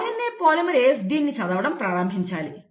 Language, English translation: Telugu, So the RNA polymerase will then start reading this